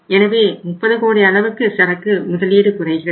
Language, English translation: Tamil, So there is a reduction by 30 crores